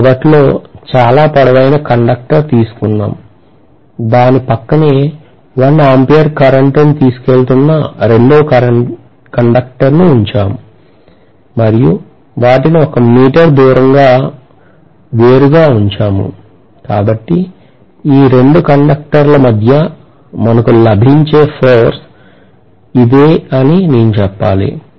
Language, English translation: Telugu, Because we have taken very long conductor initially, then we have placed the second conductor which is also carrying 1 ampere of current and we have placed them apart by 1 meter so I should say that this is the force that we are getting between these 2 conductors